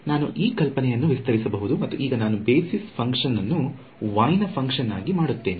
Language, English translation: Kannada, I can extend this idea supposing now I do something like basis function a as a function of y